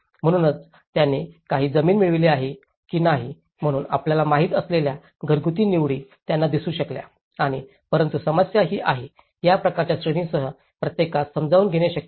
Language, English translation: Marathi, So, whether they have procured some land or not, so in that way, they could able to see the household selections you know and but the problem is, with this kind of categories, itís not possible to accommodate everyone